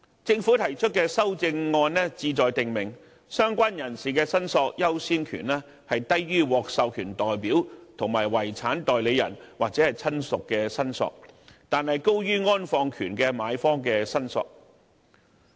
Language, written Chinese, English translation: Cantonese, 政府提出的修正案旨在訂明相關人士的申索優先權低於獲授權代表、遺產代理人或親屬的申索，但高於安放權的買方的申索。, The CSA proposed by the Government seeks to provide that the order of priority of the claim of a related person is lower than those of an authorized representative and a personal representative or relative but higher than that of the purchaser of the interment right